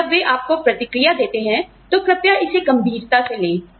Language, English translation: Hindi, And, when they give you feedback, please take it seriously